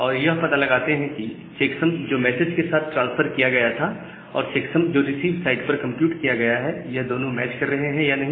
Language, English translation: Hindi, And find out that what is the checksum that has been transferred with the message and the checksum that has been computed at the receiver side whether they are getting matched or not